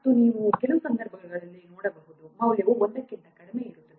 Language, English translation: Kannada, And you can see in some cases the value will be less than one